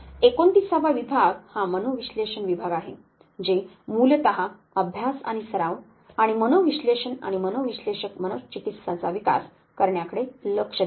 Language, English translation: Marathi, 39 division is psychoanalysis which is basically study and practice and development of psychoanalysis and psychoanalytic psychotherapy